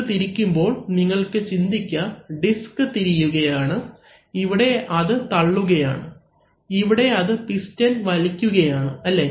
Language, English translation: Malayalam, So, now what you, while it is rotating you can imagine that this is, while it is, while the disc is rotating, here it is pushing and here it is pulling the piston, right